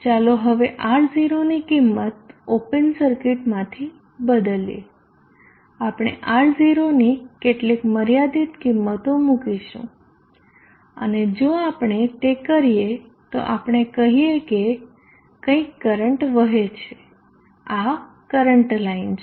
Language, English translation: Gujarati, Now let us change the value of R0 from open circuit we will put in some finite value of R0 and if we do that let us say there is some current flows this is the current line